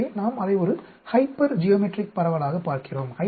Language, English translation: Tamil, So, we look at it as a hypergeometric distribution